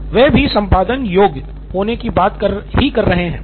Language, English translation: Hindi, So he also talked about editable, being editable, yeah